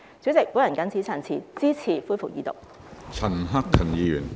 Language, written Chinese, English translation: Cantonese, 主席，我謹此陳辭，支持恢復二讀。, With these remarks President I support the resumption of the Second Reading debate